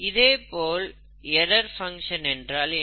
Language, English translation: Tamil, What is an error function